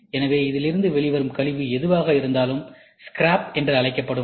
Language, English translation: Tamil, So, waste is whatever is this, I would say scrap which comes out of this